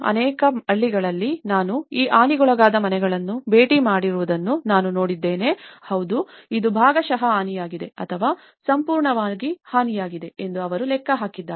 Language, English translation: Kannada, In many of the villages, where I have seen I visited that these damaged houses yes, they have been accounted that this has been partially damaged or fully damaged